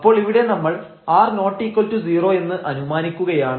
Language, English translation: Malayalam, So, let us assume here r is positive, r can be negative